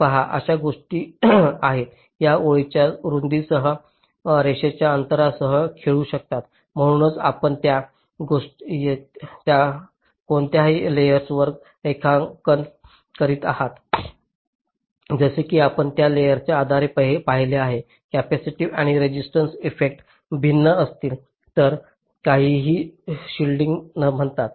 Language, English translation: Marathi, see, there are a few things that can do: play with width of the line, spacing of the line, so on which layer you are drawing it, as you have seen, depending on the layer, the capacitive and resistive effects will be different and something called shielding